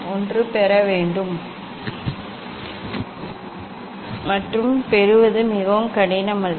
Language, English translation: Tamil, one has to derive, and it is not very difficult to derive